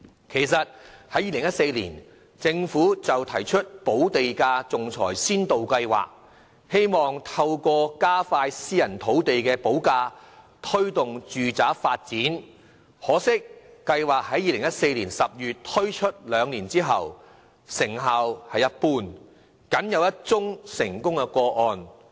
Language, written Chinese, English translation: Cantonese, 其實，在2014年，政府已推出"補地價仲裁先導計劃"，希望透過加快私人土地補價，推動住宅發展，可惜該計劃自2014年10月推出後，兩年多來成效一般，僅錄得一宗成功個案。, In fact a Pilot Scheme for Arbitration on Land Premium was launched by the Government in 2014 to facilitate early agreement on land premium payable for private land thereby speeding up housing development . Regrettably with only one successful case recorded so far the effectiveness of the Pilot Scheme is just passable in these two - odd years since its implementation in October 2014